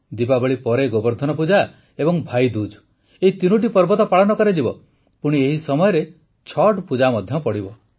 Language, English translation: Odia, Diwali, then Govardhan Puja, then Bhai Dooj, these three festivals shall of course be there and there will also be Chhath Puja during this interregnum